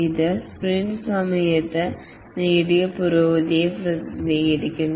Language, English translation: Malayalam, This represents the progress achieved during the sprint